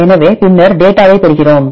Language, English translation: Tamil, So, then we get the data